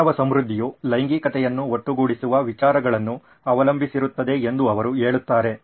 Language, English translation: Kannada, He says human prosperity depends upon ideas having sex combining together